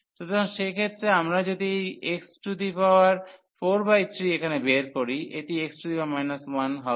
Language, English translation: Bengali, So, in that case we take this x power 4 by 3 here out, this is x power minus 1 this x